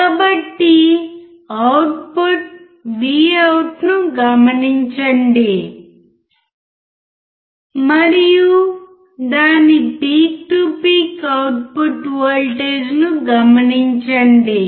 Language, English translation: Telugu, So, observe the output VOUT and note down its peak to peak output voltage